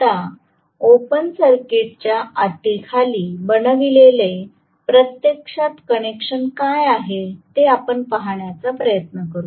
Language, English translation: Marathi, Now, let us try to look at what is actually the connection that is made under the open circuit condition